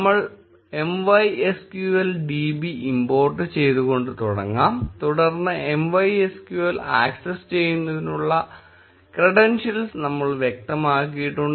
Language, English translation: Malayalam, We start off with importing MySQL db, then we have specified the credentials to access MySQL